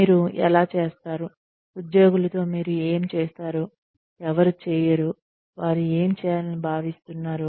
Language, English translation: Telugu, How do you, what do you do with employees, who do not do, what they are expected to do